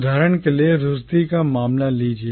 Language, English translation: Hindi, Take the case of Rushdie for instance